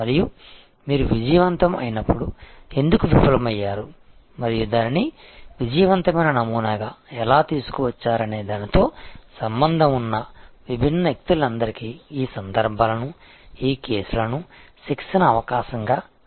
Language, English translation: Telugu, And you should use these instances, these cases as a training opportunity for all the different people involved that when it succeeded, why it failed and how it was brought back to a success paradigm